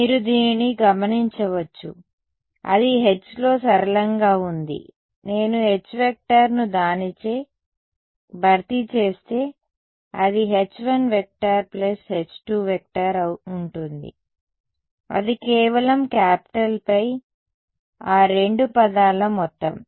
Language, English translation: Telugu, You notice this guy it is it is linear in H if I replace H by H 1 plus H 2 it will just become capital phi of the sum of those two terms right